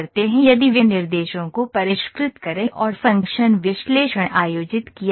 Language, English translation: Hindi, If refine the specifications and function analysis has conducted